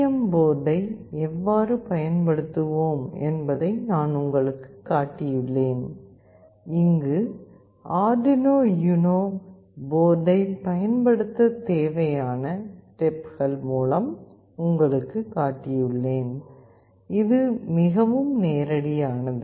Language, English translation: Tamil, In the previous lectures I have specifically shown you how we will be using STM board and here I will take you through the steps that are required to use Arduino UNO board, which is again fairly very straightforward